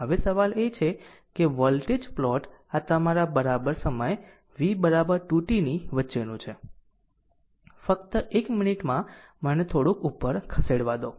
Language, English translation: Gujarati, Now now question is that voltage plot this is my your in between your what you call ah v is equal to 2 t just just one minute let me move little bit up right